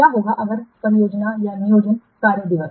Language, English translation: Hindi, What is the planned work days